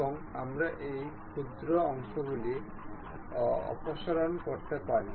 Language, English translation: Bengali, And we can remove this one these tiny portions